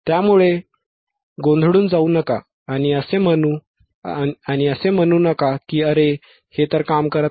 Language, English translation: Marathi, So, do not get confused and do not say that oh it is not working